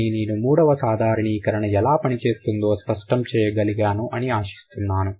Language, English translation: Telugu, But I hope I can make it clear how the generalization three works